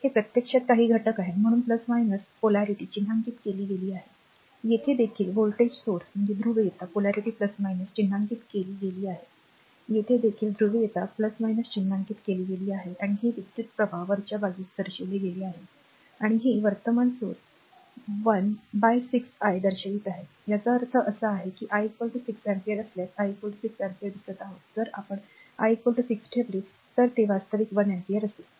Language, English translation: Marathi, Now this is actually some element so, plus minus polarity has been mark, here also voltage source polarity plus minus has been mark, here also polarity plus minus has been mark right and this is your current is shown upward and this current source is showing 1 upon 6 I; that means, if I is equal to 6 ampere here I is equal to look 6 ampere if we put I is equal to 6 here it will be actually 1 ampere